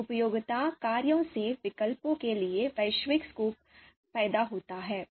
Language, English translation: Hindi, So these utility function lead to global score for alternatives